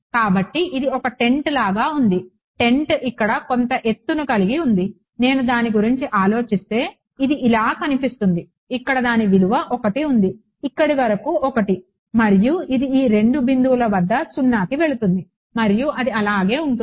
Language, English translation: Telugu, So, its like its like a tent, right the tent has some height over here if I think about it looks something like this right it has its value 1 over here this much is 1 and it goes to 0 at these 2 points and it stays 0 along this whole edge until that reaches 2 ok